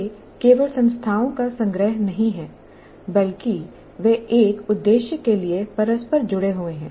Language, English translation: Hindi, And they're not mere collection of entities, but they're interrelated for a purpose